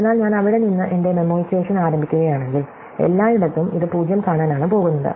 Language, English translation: Malayalam, So, if I start my memoization from there, then everywhere it is just going to see a 0